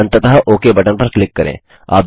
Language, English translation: Hindi, And finally click on the OK button